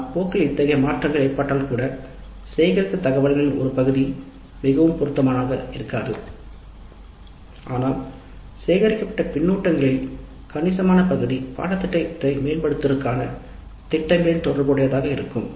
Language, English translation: Tamil, But even when such changes occur in the course, part of the information that we have collected may not be very much relevant, but a substantial part of the feedback collected, a substantial part of the plans for improving the course, there will remain relevant